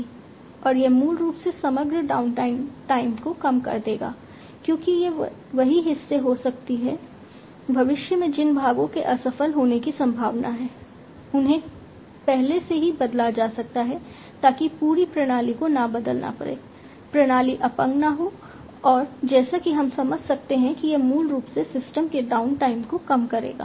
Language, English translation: Hindi, And this basically will reduce the overall downtime, because these parts can be the, the parts which are likely to be failed in the future, they can be replaced beforehand, you know, so that the entire system does not get, you know does not get crippled and as we can understand that this basically will reduce the downtime of the system